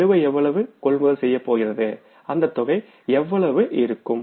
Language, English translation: Tamil, The balance is going to the purchases and this amount is going to be how much